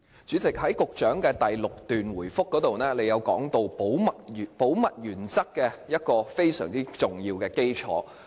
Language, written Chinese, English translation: Cantonese, 主席，局長在主體答覆第六段提及保密原則其中一項非常重要的基礎。, President the Secretary has mentioned a very important basis of the confidentiality principle in paragraph 6 of the main reply